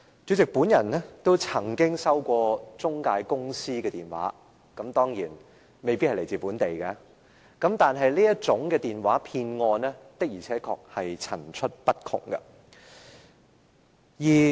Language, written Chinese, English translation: Cantonese, 主席，我也曾接獲中介公司來電，當然，這些來電未必來自本地，但這類電話騙案的確層出不窮。, President I did receive calls from intermediary companies . Certainly these calls may not necessarily be local yet the tactics of these phone frauds are multifarious